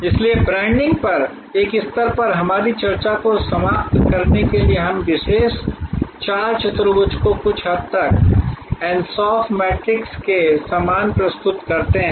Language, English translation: Hindi, So, to conclude an our discussion at this stage on branding we present this particular four quadrant somewhat similar to the ansoff matrix